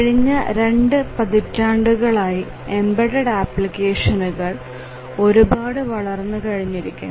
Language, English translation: Malayalam, For last two decades or so, the embedded applications have really increased to a great extent